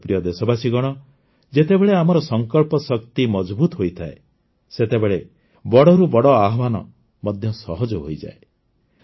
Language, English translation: Odia, My dear countrymen, when the power of our resolve is strong, even the biggest challenge becomes easy